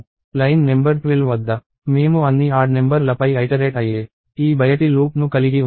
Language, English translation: Telugu, So, at line number twelve we had this outer most loop running which is iterating over all the odd numbers